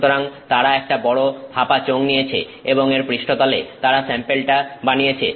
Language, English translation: Bengali, So, they take a large hollow cylinder and on the surface of this they make the sample